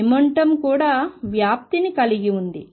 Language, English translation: Telugu, Even the momentum has a spread